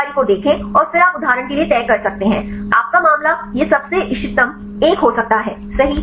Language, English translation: Hindi, Then look into this information and then you can decide for example, your case this could be the most optimal one fine